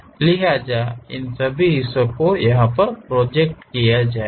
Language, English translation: Hindi, So, all these parts will be projected